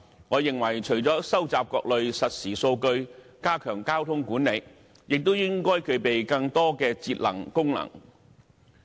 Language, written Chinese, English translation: Cantonese, 我認為除了收集各類實時數據，以加強交通管理外，亦應該具備更多節能功能。, In my view apart from collecting various real - time data to enhance traffic management they should carry more energy saving features